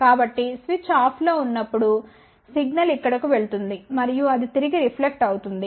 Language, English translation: Telugu, So, when the switch is off the signal will go to here and then it will reflect back